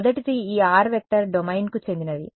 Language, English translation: Telugu, First is when this r vector belongs to the domain ok